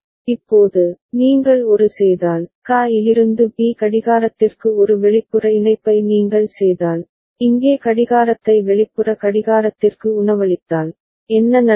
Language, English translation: Tamil, Now, if you make an, if you make an external connection from QA to clock B over here right, and feed the clock here external clock here, then what will happen